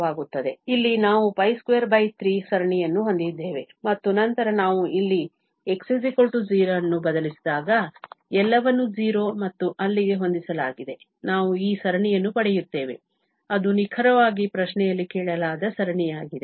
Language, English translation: Kannada, So here, we have the series pi square by 3 and then when we have substituted here x equal 0, everything is set to 0 and there, we will get this series which is precisely the series which was asked in the question